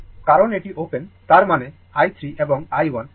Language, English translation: Bengali, Because, this is open right; that means, i 3 and i 1